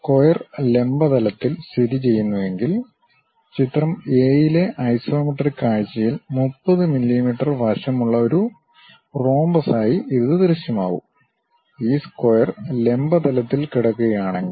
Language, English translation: Malayalam, If the square lies in the vertical plane, it will appear as a rhombus with 30 mm side in the isometric view in figure a; it looks likes this, if this square is lying on the vertical plane